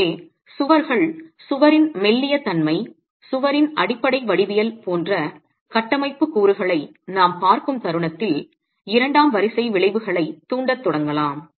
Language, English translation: Tamil, So the moment we look at structural elements like walls, the slendiness of the wall, the basic geometry of the wall can start inducing second order effects